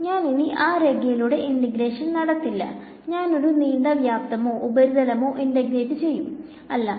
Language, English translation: Malayalam, I will no longer integrate just along the line, I may integrate a longer a volume or a surface or whatever right